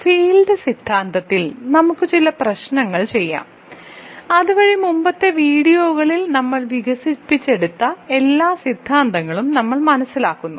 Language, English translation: Malayalam, Let us do some problems on field theory, so that we understand all the theory that we have developed in the previous videos